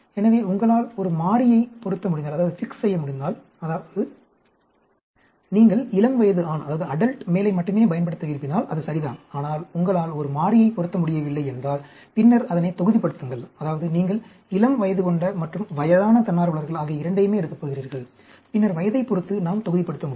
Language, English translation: Tamil, So, if you can fix a variable, like if you want to do only adult male, then it is ok, but if you do not fix a variable, then block it, that is, if you are going to take both adult and old volunteers, then we can block with respect to age